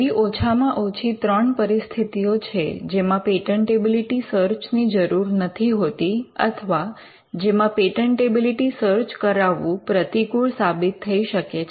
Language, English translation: Gujarati, When a patentability search is not needed there are at least three cases, where you will not need a patentability search or rather doing a patentability search would be counterproductive